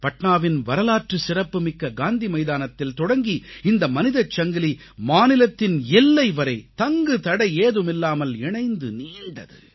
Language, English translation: Tamil, The human chain that commenced formation from Gandhi Maidan in Patna gained momentum, touching the state borders